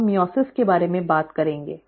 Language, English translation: Hindi, We will talk about meiosis